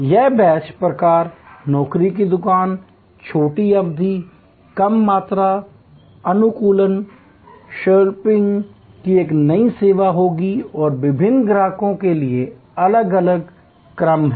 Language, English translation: Hindi, It will be a new service of the batch type, job shop, short duration, low volume, customization, scheduling is very important and there are different sequences for different customers